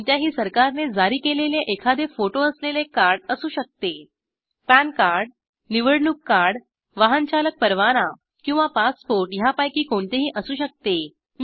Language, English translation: Marathi, Any government issued card with photo it could be an Pan card Election card Driving license or a passport it could be any of these